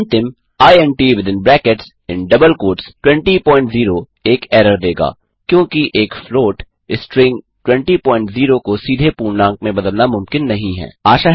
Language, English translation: Hindi, and the last one int(20.0) will give an error, because converting a float string, 20.0, directly into integer is not possible